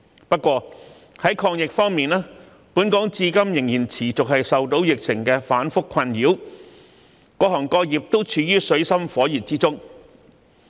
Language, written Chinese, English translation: Cantonese, 不過，在抗疫方面，本港至今仍然持續受到疫情反覆的困擾，各行各業都處於水深火熱之中。, However when it comes to the fight against the COVID - 19 epidemic all trades and sectors have plunged into dire straits because of the continued volatility of the epidemic situation in Hong Kong